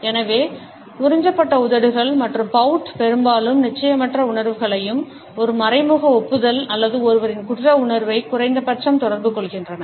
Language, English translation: Tamil, So, puckered lips and pout often communicate feelings of uncertainty as well as an indirect admission or at least consciousness of one’s guilt